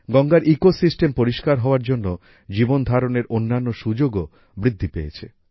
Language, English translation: Bengali, With Ganga's ecosystem being clean, other livelihood opportunities are also increasing